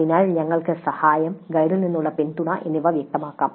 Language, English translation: Malayalam, So, we could specify the help support from the guide specifically